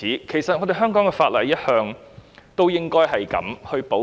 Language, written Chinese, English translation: Cantonese, 其實香港法例一向有這樣的保障。, In fact such a protection has always been available in Hong Kong laws